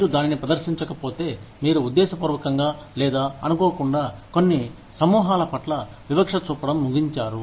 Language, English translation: Telugu, If you cannot demonstrate that, then you have intentionally, or unintentionally, ended up discriminating against, certain groups of people